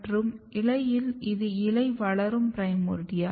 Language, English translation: Tamil, And in the leaf, if you look the leaf growing primordia